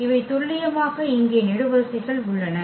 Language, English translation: Tamil, These are the precisely the columns here